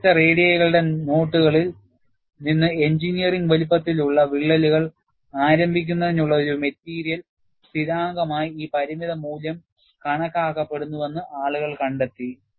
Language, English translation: Malayalam, And, people have found that this limiting value, is assumed to be a material constant, for the initiation of engineering sized cracks, from notches of different radii